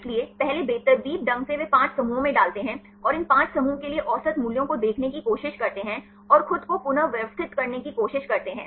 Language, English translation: Hindi, So, first randomly they put into 5 clusters, and try to see the average values for these 5 clusters and try to rearrange themselves